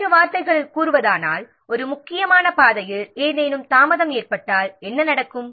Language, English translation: Tamil, In other words, we can define that if any delay occurs along a critical path, then what will happen